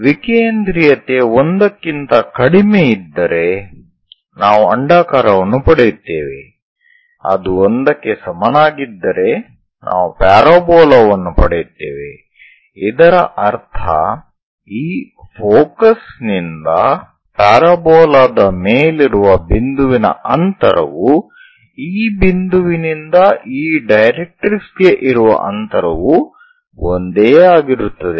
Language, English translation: Kannada, If eccentricity less than 1 we get an ellipse, if it is equal to 1, we get a parabola, that means from focus to point on this parabola and distance from this point to this directrix they are one and the same